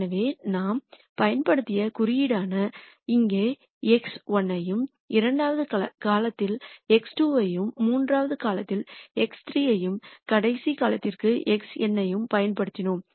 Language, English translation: Tamil, So, the notation that we have used is we have used the x 1 in the front here and x 2 here for second column, x 3 here for the third column and so on, x n here for the last column